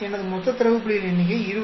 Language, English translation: Tamil, So, total number of data points are 20